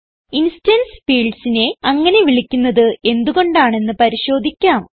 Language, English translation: Malayalam, Now let us see why instance fields are called so